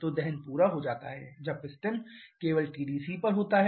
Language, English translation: Hindi, So, combustion gets completed when the piston is at TDC only